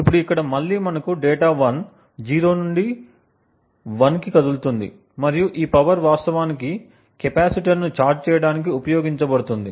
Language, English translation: Telugu, Now over here again we have data 1 moving from 0 to 1 and the power is used to actually charge the capacitor